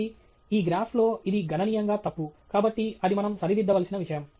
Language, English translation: Telugu, So, this is significantly wrong with this graph right; so, that something we need to correct